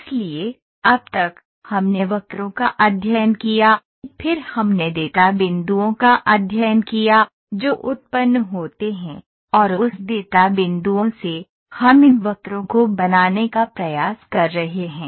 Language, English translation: Hindi, So, whatever we studied till now, we studied curves, then we studied of the data points, which are generated, and from that data points, we are trying to form these curves